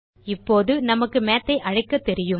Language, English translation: Tamil, Now, we know how to call Math